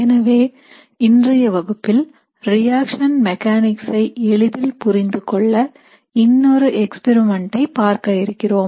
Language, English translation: Tamil, So in today's lecture, what we are going to look at is we are going to look at another experiment that is used very often to get an idea about the reaction mechanism